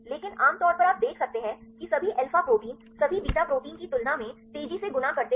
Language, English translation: Hindi, But generally you can see that all alpha proteins fold faster than all beta proteins